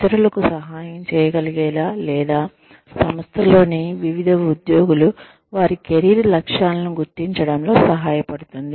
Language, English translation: Telugu, In order to be, able to help others, or, helps different employees in the organization, identify their career goals